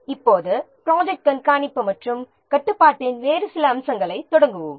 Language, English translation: Tamil, Now let's start the some other aspects of project monitoring and control